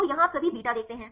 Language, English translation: Hindi, So, here if you see all beta